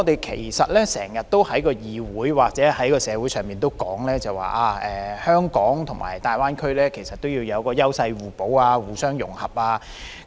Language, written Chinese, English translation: Cantonese, 其實，我們經常在議會或社會上說，香港和大灣區要優勢互補、互相融合。, Actually in both this Council and the community we have always talked about the need for Hong Kong and the Greater Bay Area to achieve mutual complementarity and integration